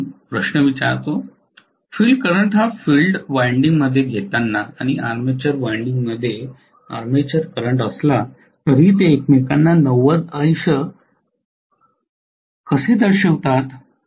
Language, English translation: Marathi, Although the field current is in field winding and armature current in armature winding, how they are represented as 90 degrees to each other